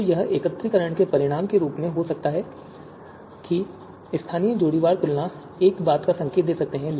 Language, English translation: Hindi, So this could be as a consequence of aggregation that the local you know local pairwise comparison might be indicating one thing